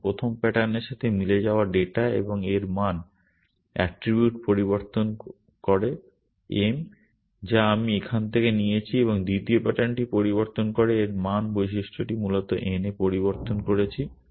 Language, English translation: Bengali, Now, the data matching that first pattern and change its value attribute to m, which is what I have taken from here and modify the second pattern and change its value attribute to n essentially